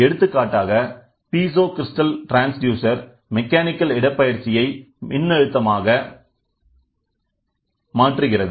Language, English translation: Tamil, Piezo crystal converts the mechanical displacement into an electrical voltage